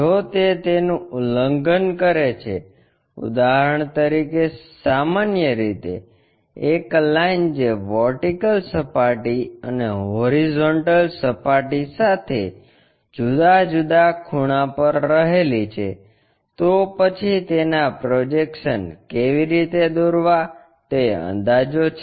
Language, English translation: Gujarati, If, that violates for example, in general a line which is inclined at different angles with the vertical plane and also the horizontal plane, then how to draw it is projections